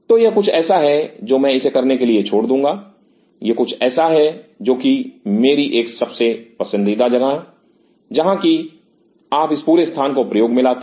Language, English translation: Hindi, So, this is something which I will Levitt up to, this is something which is my most preferred one where you are utilizing this whole space